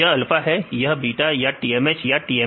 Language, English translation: Hindi, This is alpha or beta or TMH or TMS